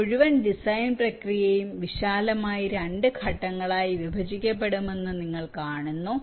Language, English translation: Malayalam, you see, this whole design process can be divided broadly into two parts